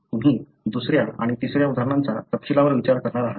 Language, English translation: Marathi, So, you are going to look into the second and third examples in detail